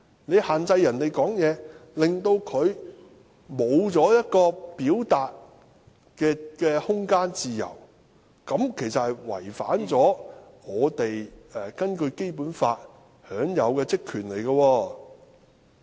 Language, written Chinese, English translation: Cantonese, 你限制議員發言，令他失去一個表達的空間和自由，其實是違反我們根據《基本法》享有的職權。, If you restrain a Member from speaking he will not have the room for speech and freedom of expression . Actually this is in violation of the powers and functions that we have under the Basic Law